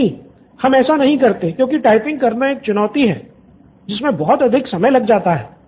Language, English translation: Hindi, No, we do not do that because it is a challenge, typing is a challenge it takes more of time